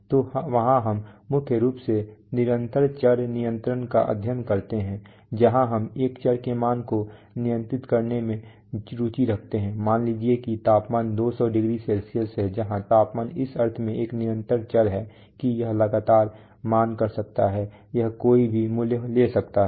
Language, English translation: Hindi, So there we study mainly continuous variable control where we are interested in controlling the value of a variable, let that, let the temperature be 200˚C that kind of control where the temperature is a continuous variable in the sense that it can continuously value over time